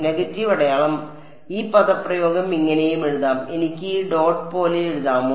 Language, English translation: Malayalam, Negative sign; so, this expression can also be written as; Can I write it like this dot